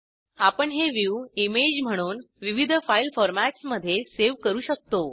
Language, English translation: Marathi, We can save this view as an image in various file formats